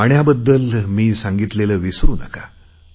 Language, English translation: Marathi, Please don't forget what I had said about water